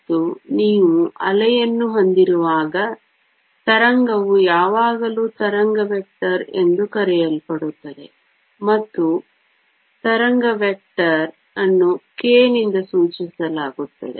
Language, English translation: Kannada, And when you have a wave, a wave always has something called as a wave vector, and the wave vector is denoted by k